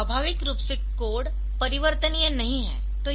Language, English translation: Hindi, So, the so naturally the code is not modifiable